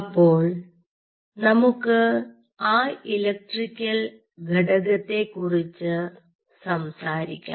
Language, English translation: Malayalam, so lets talk about the electrical component